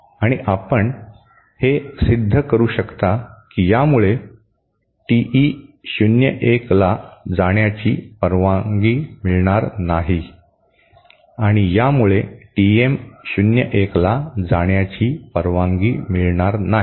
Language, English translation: Marathi, And you can prove this that this will not allow TE 01 to pass through and this will not allow TM 01 to pass through